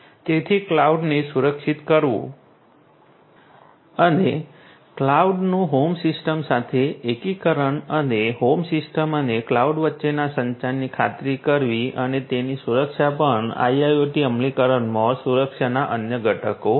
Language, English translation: Gujarati, So, securing the cloud and ensuring the integration of the cloud to the home system and the communication between the home system and the cloud and their security these are also different different other components of security in IIoT implementation